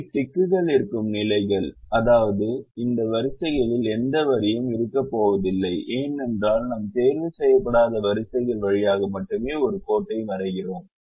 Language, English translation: Tamil, these are the positions where there are ticks, which means these are positions or rows where there is going to be no line, because we draw a line only through unticked rows, so it is a ticked row, so there is going to be no line